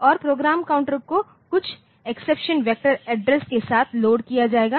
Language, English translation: Hindi, And, the program counter will be loaded with some exception vector address